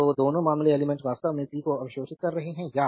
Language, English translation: Hindi, So, both the cases element actually is absorbing the power right